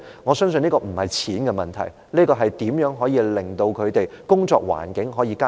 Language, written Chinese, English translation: Cantonese, 我相信這不是金錢的問題，而是如何加以改善他們的工作環境的問題。, I believe this has nothing to do with money but is about how their working environment can be improved